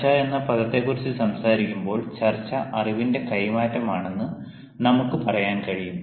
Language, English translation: Malayalam, when we talk about the word discussion, we can say that discussion is actually an exchange of knowledge